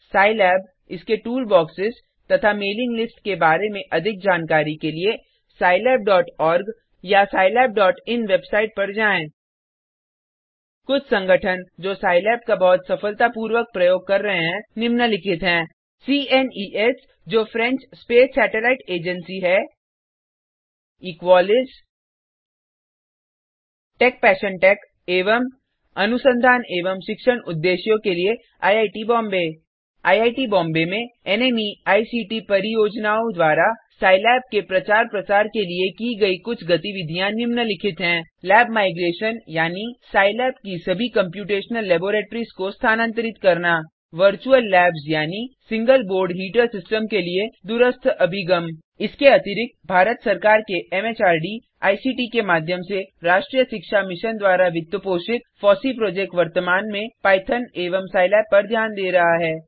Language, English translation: Hindi, For more information about scilab, its toolboxes and mailing lists visit scilab.org or scilab.in website Some organisations that are using Scilab very successfully are CNES which is , EQUALIS Techpassiontech and IIT Bombay for research and academic purposes Some of the activities for promoting Scilab through NMEICT projects at IIT Bombay are Lab Migration that is Virtual Labs that is ( Remote Access to the Single Board Heater System: ) In addition, the FOSSEE Project funded by the National Mission on Education through ICT, MHRD, Govt of India, currently focuses on Python and Scilab